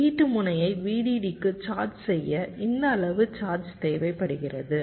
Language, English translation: Tamil, this much charge is required to charge the output node to v